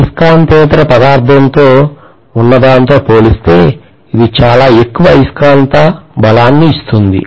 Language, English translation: Telugu, It gives much more magnetic strength compared to what you have in a non magnetic material